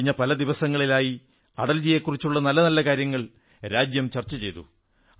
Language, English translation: Malayalam, During these last days, many great aspects of Atalji came up to the fore